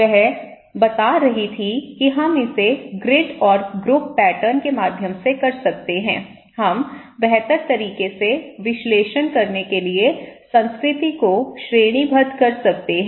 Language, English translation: Hindi, She was telling that we can do it through the grid and group pattern, we can categorize the culture in order to analyse them better